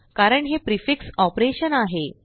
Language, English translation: Marathi, As it is a prefix operation